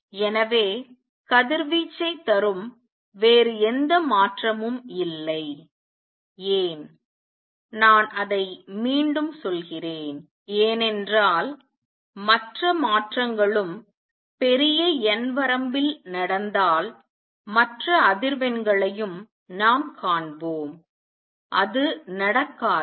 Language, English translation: Tamil, So, there is no other transition that gives out radiation and why is that let me repeat because if other transitions also took place in large n limit, we will see other frequencies also and that does not happens